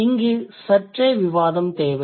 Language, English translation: Tamil, This needs a bit of discussion